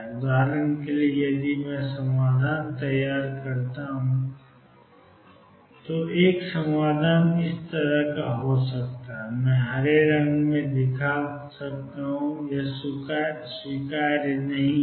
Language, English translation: Hindi, For example, if I build up the solution one solution could be like this, I am showing in green this is not acceptable